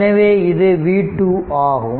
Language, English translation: Tamil, So, v 1 will be 15 volt